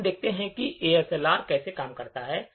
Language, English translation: Hindi, We will now see how ASLR works